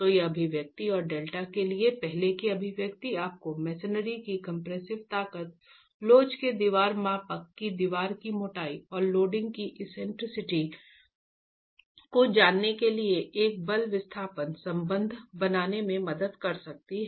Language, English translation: Hindi, So this expression and the earlier expression for delta can help you draw a force displacement relationship knowing the compressive strength of the masonry, height of the wall, thickness of the wall, models of elasticity, and the eccentricity of the loading itself